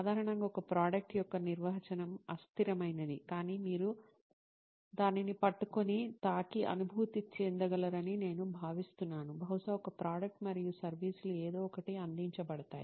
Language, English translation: Telugu, Usually the definition of a product is quite loose, but I think of it as something that you can hold, touch and feel is probably a product and a services is something that is offered to somebody